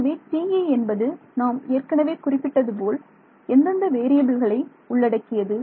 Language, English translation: Tamil, So, TE as we have said it consists of which variables